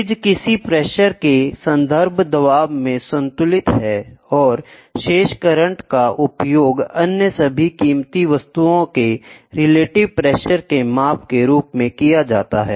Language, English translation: Hindi, The bridge is balanced at some reference pressure, and the out of balance current are used at all other pressure as the measurement of the relative pressures